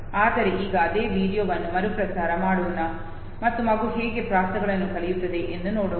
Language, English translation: Kannada, But now let us replay the same video and see how the child learns the rhymes